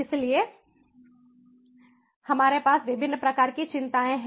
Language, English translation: Hindi, so we have different types of concerns